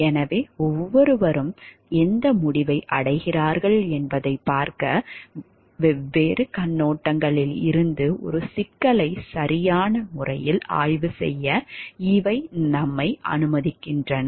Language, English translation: Tamil, So, these allows us to examine a proper examine a problem from different perspectives to see what conclusion each one to see what conclusion each 1 reaches